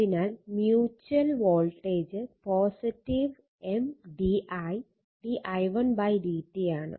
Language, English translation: Malayalam, So, mutual voltage is plus M d i1 upon d t are